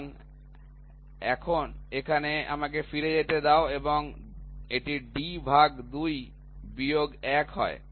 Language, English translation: Bengali, So, here let me go back and it is d by 2 minus 1